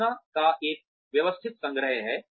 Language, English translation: Hindi, There is a systematic collection of information